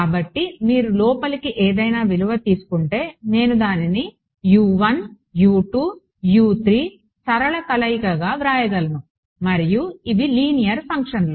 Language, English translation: Telugu, So, any value if you take inside I can write it as a linear combination of U 1 U 2 U 3 and these are the linear functions